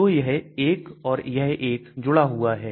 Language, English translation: Hindi, So this one and this one are connected